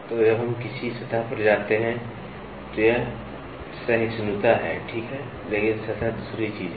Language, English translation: Hindi, So, when we go to a surface, this is tolerance, right, but surface is another thing